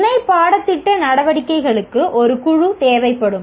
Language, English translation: Tamil, Co curricular activities that will require a group